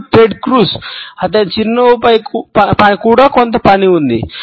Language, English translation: Telugu, And Ted Cruz, also has some work to do on his smile